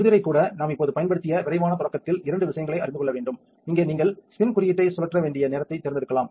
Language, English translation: Tamil, The touchscreen itself, there is two things to be aware of quick start which we just used, here you can select the time that you need to spin code